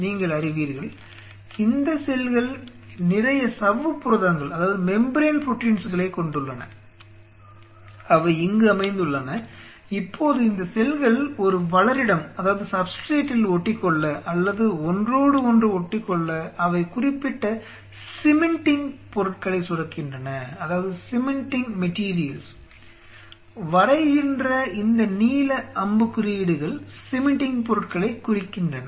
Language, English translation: Tamil, These cells have lot of you know membrane proteins which are setting there, now if these cells have to adhere to a substrate or adhere to each other they secrete specific cementing materials and by virtue of which these blue arrows coming out are telling or telling about the cementing materials